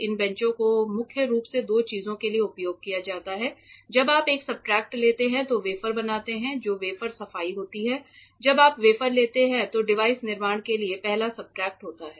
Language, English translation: Hindi, These benches are primarily used for two things one is wafer cleaning when you take a substrate which forms the wafer when you take the wafer that is the first substrate for a device fabrication